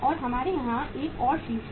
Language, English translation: Hindi, And we have one more head here